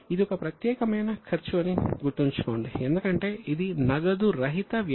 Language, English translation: Telugu, Keep in mind that this is a unique expense because it is a non cash expense